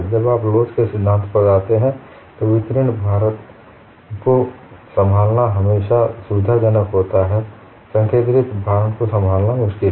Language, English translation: Hindi, When you come to theory of elasticity, it is always convenient to handle it distributed loading; concentrated loads are difficult to handle